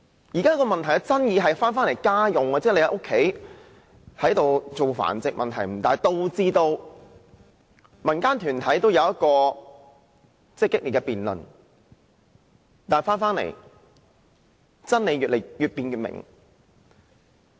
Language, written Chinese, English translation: Cantonese, 現時問題的爭議是，當局認為在住家進行狗隻繁殖問題不大，導致民間團體有激烈的辯論，但真理越辯越明。, What makes the current issue controversial is that the authorities do not consider the home breeding of dogs a serious problem and this has resulted in a heated debate among community groups . But then the more the truth is debated the clearer it becomes